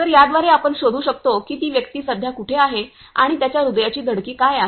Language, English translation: Marathi, So, through this we can actually detect where the person is right now and what is his heart beat